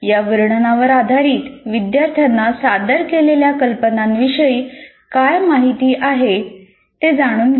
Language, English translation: Marathi, Based on this description, find out what the students know about the idea presented